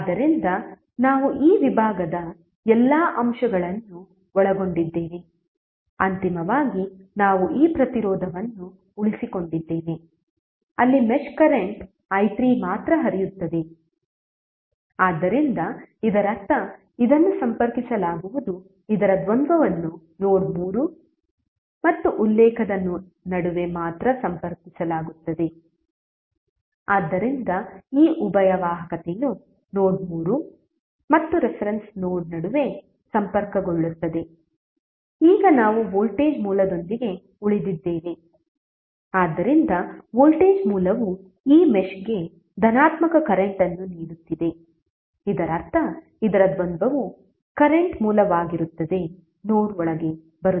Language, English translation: Kannada, So we have covered all the elements of this segment, finally we are left with this resistance where only node the mesh current i3 is flowing, so it means that this would be connected the dual of this would be connected between node 3 and reference only, so the conductance of this dual would be connected between node 3 and reference node, now we have left with the voltage source, so voltage source is giving the positive current to this mesh so that means that the dual of this would be a current source which would be coming inside the node